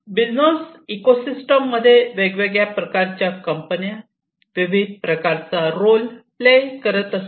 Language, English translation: Marathi, So, we are talking about a business ecosystem, where several companies are going to play different, different roles